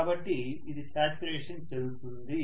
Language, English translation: Telugu, So it reaches a saturation